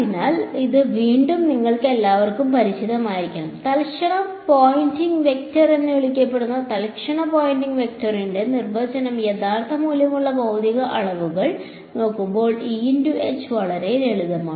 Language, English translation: Malayalam, So, again this should be familiar to all of you have what is called the instantaneous Poynting vector the definition of instantaneous Poynting vector is simplest when I look at real valued physical quantities ok